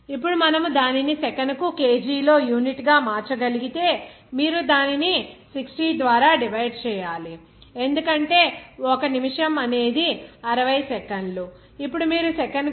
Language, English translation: Telugu, Now, if you can convert it to what should be the unit in kg per second simply you have to divide it by 60 because 1 minute is about 60 second, then you will get 21